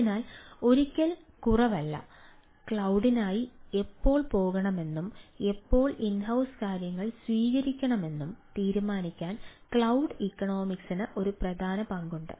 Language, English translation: Malayalam, so, never the less, cloud economics plays the important role to decide when to go for cloud and when, ah, when to take it on ah on in a house, type of things